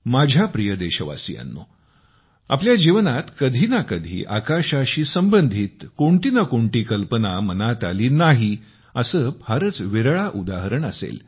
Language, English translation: Marathi, My dear countrymen, there is hardly any of us who, in one's life, has not had fantasies pertaining to the sky